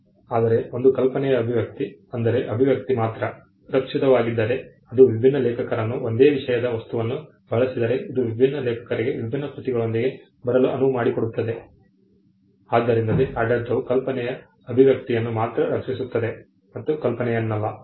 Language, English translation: Kannada, Whereas, expression of an idea, if the expression alone is protected, it gives different authors to come up with using the same thing theme, it allows different authors to come up with different works, oh so that is why you find that the regime protects only the expression of the idea and not the idea itself